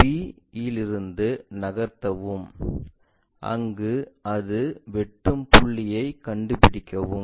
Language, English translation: Tamil, Then move from b, move from b, where they are intersecting locate those points, this one, this one